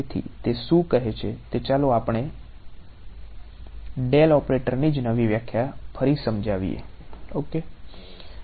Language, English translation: Gujarati, So, what it says is let us reinterpret the del operator itself ok